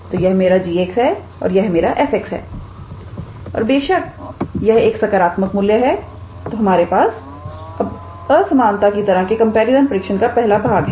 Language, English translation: Hindi, So, this is my g x this is my f x and; obviously, this is a positive quantity so, we have the first part of our comparison test of inequality type